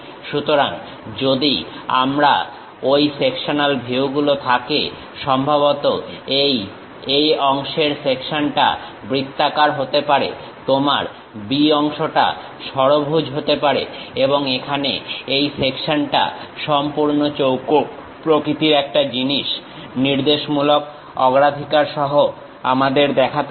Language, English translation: Bengali, So, if I am having those sectional views, perhaps this A part section might be circular, the B part is something like your hexagon, and here the section is completely square kind of thing, along with the directional preference we have to show